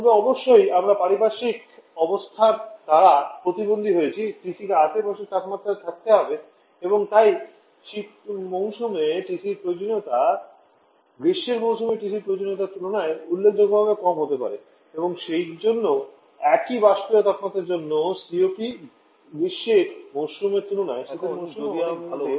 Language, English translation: Bengali, But of course we are handicapped by the environmental condition TC as to the surrounding temperature and therefore the TC requirement during the winter seasons and be significantly lower than the TC requirement in the summer season, and therefore the COP for the same evaporator temperature during the winter season can be much better compare to the summer season